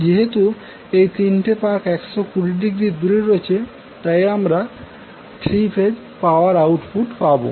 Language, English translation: Bengali, So, since these all 3 windings are 120 degree apart you will get 3 phase power as a output